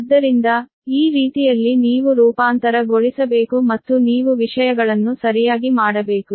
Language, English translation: Kannada, so this way you have to transform and you have to make things correctly right